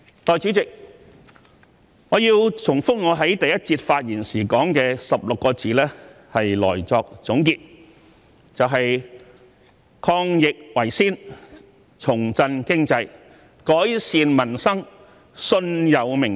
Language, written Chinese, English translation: Cantonese, 代理主席，我要重複我在第一個辯論環節發言時說的16個字作總結，就是"抗疫為先，重振經濟，改善民生，信有明天"。, Deputy President I would like to conclude by repeating the 16 words I mentioned in my speech during the first debate session that is putting the fight against the epidemic first reviving the economy improving peoples livelihood believing in tomorrow